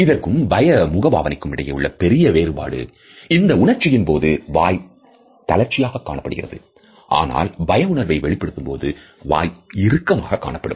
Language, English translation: Tamil, The biggest difference between this and fear is that surprise causes your mouth to be loose, while fear the mouth is tensed